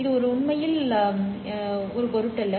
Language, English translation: Tamil, That is not really important for us